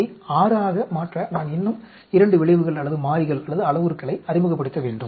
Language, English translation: Tamil, Now, I have to introduce 2 more variables or parameters